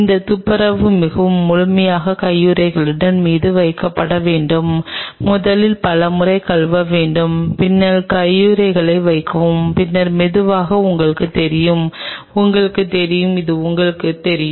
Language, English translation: Tamil, This cleaning has to be done very thoroughly put on the gloves first of all wash several times and then put on the gloves and then slowly you know kind of you know allow it to really the water to you know roll through all over the place